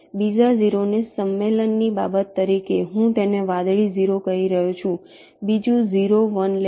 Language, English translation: Gujarati, the second zero, as a matter of convention, i am calling it a blue zero